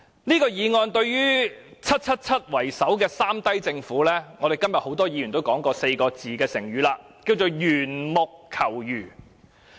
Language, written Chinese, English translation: Cantonese, 這項議案對於以 "777" 為首的"三低政府"——正如今天很多議員所說的四字成語——可說是緣木求魚。, To the three - low Government led by 777 one may say that this motion is―just as the proverbial expression that many Members have used today―as futile as milking the bull